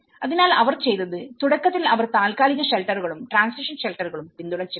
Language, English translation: Malayalam, So, what they did was they initially have been supported the kind of temporary shelters and the transition shelters